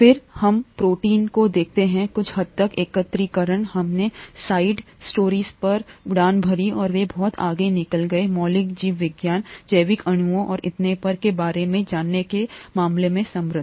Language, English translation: Hindi, Then, let us look at the protein aggregation to a certain extent, we took off on side routes and those stand out to be very enriching in terms of knowing about fundamental biology, biological molecules and so on